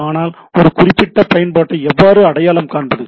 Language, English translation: Tamil, How do I identify a particular application